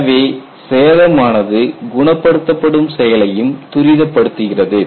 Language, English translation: Tamil, So, the damage even precipitates healing action also